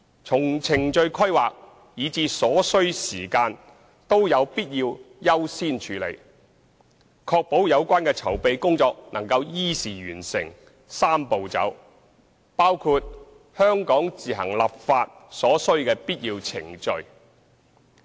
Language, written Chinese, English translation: Cantonese, 從程序規劃，以至所需時間均有必要優先處理，確保有關籌備工作能依時完成"三步走"，包括香港自行立法所需的必要程序。, It is necessary to accord priority to this matter in terms of procedural planning and the time required so as to ensure that the preparatory work for the Three - step Process can be completed as scheduled including the necessary procedures for the enactment of legislation in Hong Kong